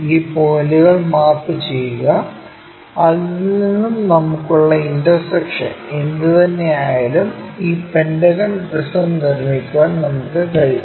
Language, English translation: Malayalam, So, in this way we map these lines, map these points whatever those intersection we are having from that we will be in a position to construct this pentagonal prism